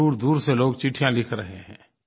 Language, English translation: Hindi, People are writing in from far and wide